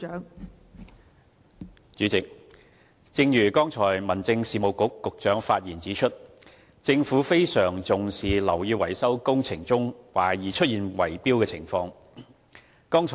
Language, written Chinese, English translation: Cantonese, 代理主席，正如剛才民政事務局局長發言指出，政府非常重視樓宇維修工程中懷疑出現圍標的情況。, Deputy President the Government attaches great importance to the concerns expressed in society about suspected bid - rigging in building maintenance works